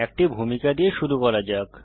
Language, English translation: Bengali, Let us begin with an introduction